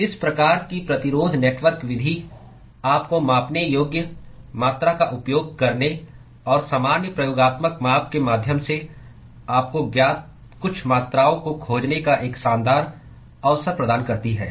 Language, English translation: Hindi, So, that is what these kind of resistance network method provides you an elegant opportunity to use the measurable quantity and find some of the quantities that is not known to you via normal experimental measurement